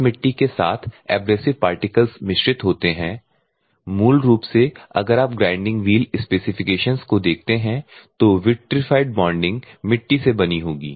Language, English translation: Hindi, That is abrasive particles are mixed with this clay; basically if you see the grinding wheel specifications vitrified bonding will be made up of clay